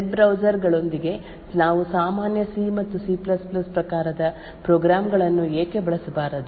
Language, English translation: Kannada, Why cannot we actually use regular C and C++ type of programs with web browsers